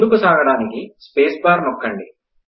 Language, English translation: Telugu, To continue, lets press the space bar